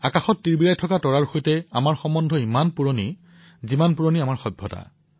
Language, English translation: Assamese, Our connection with the twinkling stars in the sky is as old as our civilisation